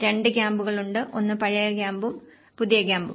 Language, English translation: Malayalam, There are two camps; one is a old camp and the new camp